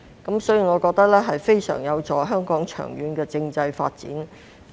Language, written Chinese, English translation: Cantonese, 因此，我覺得此舉非常有助香港長遠的政制發展。, Thus in my opinion the present move is conducive to the long - term constitutional development of Hong Kong